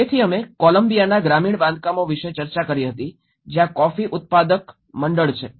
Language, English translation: Gujarati, So, we did discussed about the rural constructions in Columbia where the coffee growers associations